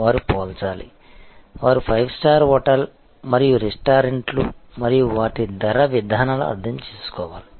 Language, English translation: Telugu, They have to compare, they have to understand the five star hotel and the restaurants and their pricing policies